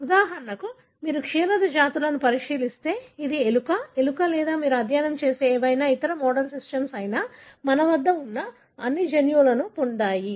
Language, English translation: Telugu, For example, if you look into the mammalian species, whether it is a rat, mouse or any other model system that you study have got all the genes that we also have